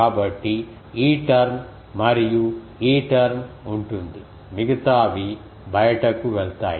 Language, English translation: Telugu, So, this term and this term will be present all others will go out